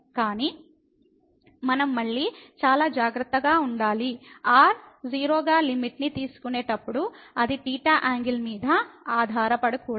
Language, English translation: Telugu, But we have to be again very careful that while taking the limit as goes to 0 that should not depend on the angle theta